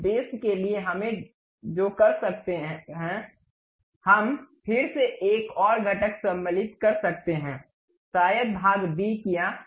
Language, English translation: Hindi, For that purpose, what we can do is, we can again insert one more component perhaps part b done